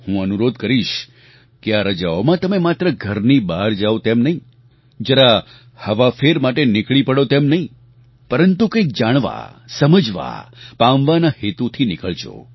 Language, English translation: Gujarati, I would request that during these vacations do not go out just for a change but leave with the intention to know, understand & gain something